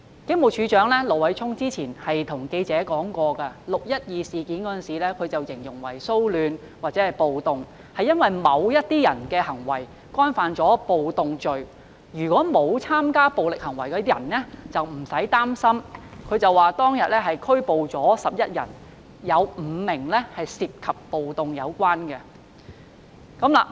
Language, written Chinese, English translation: Cantonese, 警務處處長盧偉聰之前向記者表示 ，6 月12日的事件形容為騷亂或暴動，是因為某些人的行為干犯暴動罪，沒有參加暴力行為的人不用擔心；他又指，當天共拘捕11人，當中有5人涉及暴動罪。, Stephen LO the Commissioner of Police told reporters that the 12 June incident was described as a disturbance or a riot because certain people had committed the offence of riot by their acts and that people who had not participated in violent acts need not worry . He also pointed out that 11 persons were arrested on that day with five of them being involved in the offence of riot